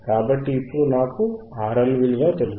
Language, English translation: Telugu, So, now I have value of R L I have found it